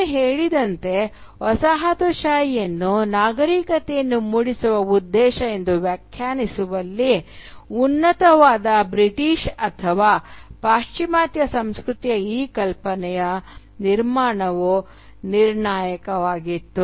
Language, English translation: Kannada, As, I have said, the construction of this idea of a superior Britishness or Western culture was crucial in defining colonialism as a civilising mission